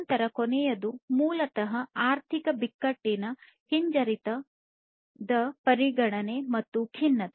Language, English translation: Kannada, So, then the last one is basically the consideration of economic crisis recession and depression